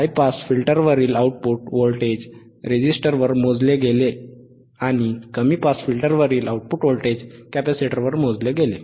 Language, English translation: Marathi, The output voltage across the high pass was measured across this resistor, and output voltage across low pass was measured across the capacitor, right